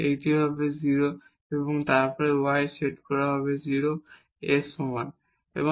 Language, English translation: Bengali, So, this x is 0 and then we have y is equal to 0